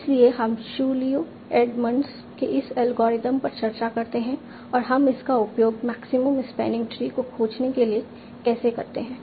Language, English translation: Hindi, So we discussed this algorithm of Chulieu and months and how do we use that for finding maximum spanning tree